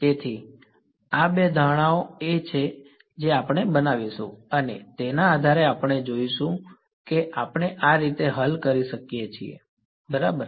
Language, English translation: Gujarati, So, these are the two assumptions that we will make and based on this we will see how can we solve this right